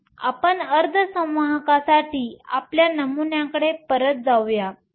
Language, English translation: Marathi, So, let us go back to our model for semiconductors